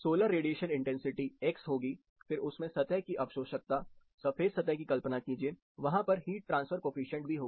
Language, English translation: Hindi, The solar radiation intensity will be x plus the absorptivity of a surface, imagine a white surface, there will be a heat transfer coefficient